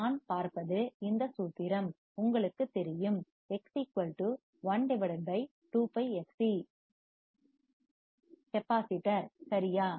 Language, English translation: Tamil, What I see is that you know the formula, X= 1/(2Πfc) for capacitor right